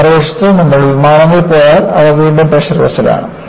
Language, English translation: Malayalam, On the other hand, if you go to aircrafts, they are again pressurized vessels